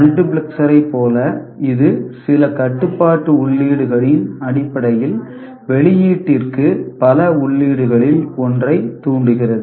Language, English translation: Tamil, Like multiplexer, which steers one of the many inputs to the output based on certain control inputs